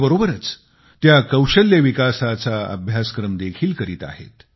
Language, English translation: Marathi, Along with this, they are undergoing a training course in skill development